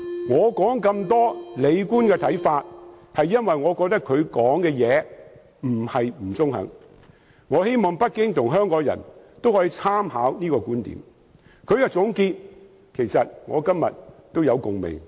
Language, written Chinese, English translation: Cantonese, 我詳細說明李官的看法，因為我覺得他的話很中肯，我希望北京政府及香港人都能夠參考他的觀點，他的總結也令我有共鳴。, I have described Andrew LIs comments in detail because I think his remarks are fair . I hope the Beijing Government and Hong Kong people would consider his viewpoints and I share his conclusion